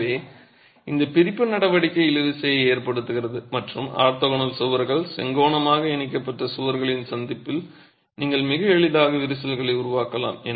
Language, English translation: Tamil, So, this separation action causes tension and you can get cracks very easily formed at the junction of orthogonal walls, orthogonally juxtaposed walls